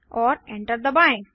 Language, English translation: Hindi, And press enter